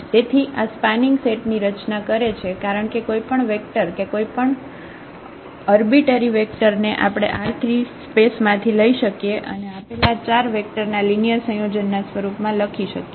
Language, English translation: Gujarati, So, this forms a spanning set because any vector any arbitrary vector we can pick from this R 3 space and we can write down as a linear combination of these given 4 vectors